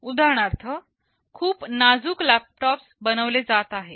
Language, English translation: Marathi, Like for example, the very slim laptops that are being built